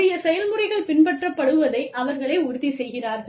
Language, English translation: Tamil, And, they will ensure that, due process is followed